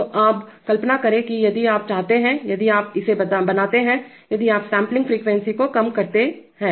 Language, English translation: Hindi, So now imagine that if you want to, if you make this, if you make the sampling frequency low